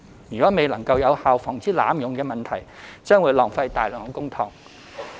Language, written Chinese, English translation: Cantonese, 如未能有效防止濫用問題，將會浪費大量公帑。, Failure to prevent abuse effectively will cause substantial waste of public money